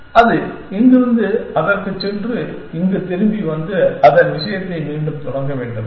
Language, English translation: Tamil, It should go from here to that and come back here and then resume its thing